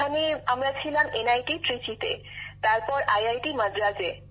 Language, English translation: Bengali, Yes there we stayed at NIT Trichy, after that at IIT Madras